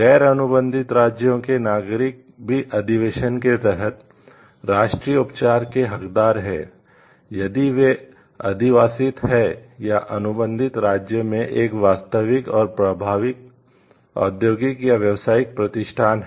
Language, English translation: Hindi, Nationals of non contracting states are also entitled to national treatment under the convention, if they are domiciled or have a real and effective industrial or commercial establishment in the contracting state